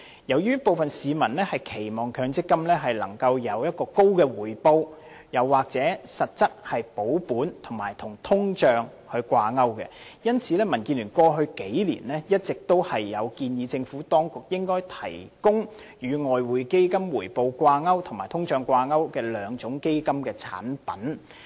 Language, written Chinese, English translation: Cantonese, 由於部分市民期望強積金能夠獲得高回報，又或是實質保本及與通脹掛鈎，故民主建港協進聯盟過去數年一直建議政府當局應該提供與外匯基金回報掛鈎及與通脹掛鈎的兩種基金產品。, Given that members of the public wish to attain high returns from their MPF investments or have their capital preservation in real terms guaranteed and linked to inflation rates over the past few years the Democratic Alliance for the Betterment and Progress of Hong Kong DAB has been proposing that the Administration should introduce two additional fund products linked respectively to Exchange Fund returns and inflation rates